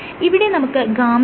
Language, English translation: Malayalam, So, here you have gamma